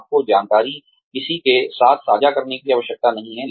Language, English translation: Hindi, You do not have to share the information with anyone